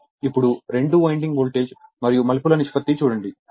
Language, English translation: Telugu, Now, two winding voltage and turns ratio right